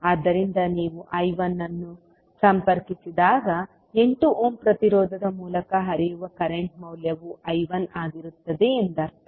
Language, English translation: Kannada, So when you connect I 1 it means that the value of current flowing through 8 ohm resistance will be I 1